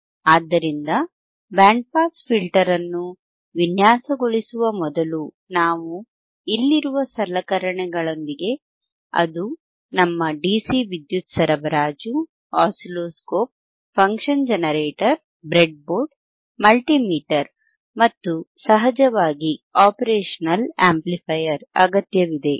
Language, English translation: Kannada, So, before we design the band pass filter with the system that we have with the equipment that we have here, which is our dcDC power supply, we have our oscilloscope, function generator, breadboard, multimeter and of course, the operational amplifier